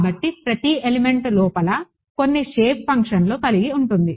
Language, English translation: Telugu, So, each element then has inside it some shape functions ok